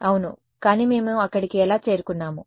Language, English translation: Telugu, Yeah, but how did we arrive there